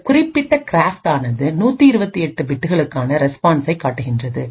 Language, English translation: Tamil, This particular craft shows the response for 128 bits